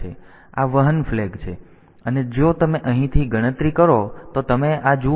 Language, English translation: Gujarati, So, this is the carry flag and you see this if you count from the here